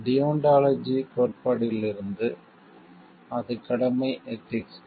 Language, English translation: Tamil, From the theory of deontology that is the duty ethics